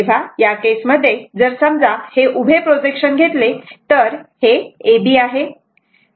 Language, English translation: Marathi, So, in that case if you if you take suppose that vertical projection so, that is A B